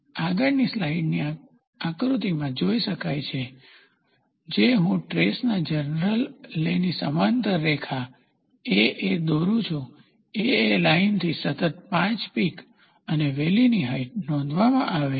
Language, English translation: Gujarati, As can be seen in the figure in the next slide, which I will draw a line AA parallel to the general lay of the trace is drawn, the height of 5 consecutive peak and valleys from the line AA are noted